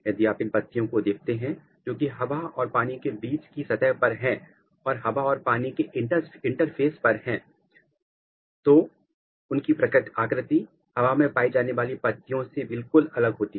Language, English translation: Hindi, If you see these which are basically at the surface of air and water or at the interface of air and water its morphology is very different than this one and the aerial leaves they are totally different